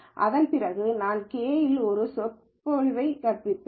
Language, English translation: Tamil, And after that I will teach a lecture on k means clustering